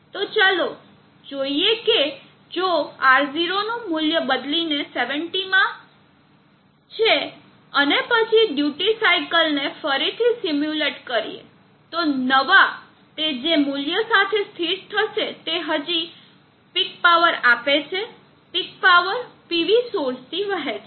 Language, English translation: Gujarati, So let us see if we change alter the R0 value to 70 and then re simulate the duty cycle will settle down with new value yet still giving peek power drawing, power from the PV source